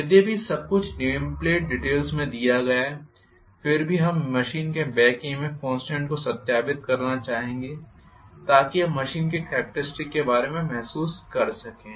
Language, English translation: Hindi, Although everything is given in nameplate details nevertheless, we would also like to verify the back EMF constant of a machine to start with so that you get a feel for the characteristic of the machine, right